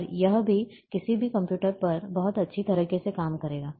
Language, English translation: Hindi, And it works very well on, on any computers